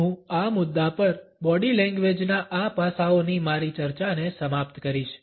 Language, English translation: Gujarati, I would end my discussion of these aspects of body language at this point